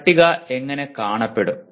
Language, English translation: Malayalam, And how does the table look